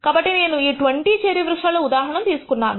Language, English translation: Telugu, So, I have taken this example of these 20 cherry trees